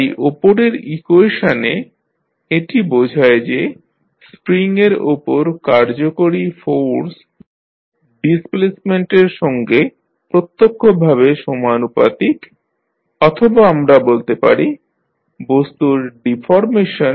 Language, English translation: Bengali, So, in this above equation it implies that the force acting on the spring is directly proportional to displacement or we can say the deformation of the thing